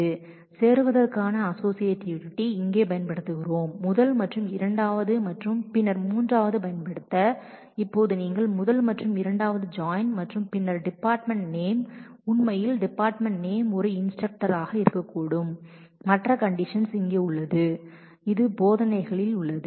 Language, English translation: Tamil, Here we are using associativity of joining the first and second and then using the third, now if you join first and second and then it is possible that the department name actually the department name is an instructor and the other condition is here which is in the teaches